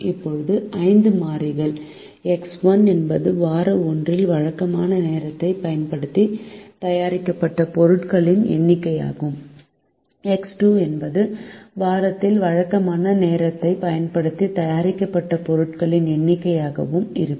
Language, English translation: Tamil, now we introduce five variables: x one be the number of products made using regular time in week one, x two be the number of products made using regular time in week two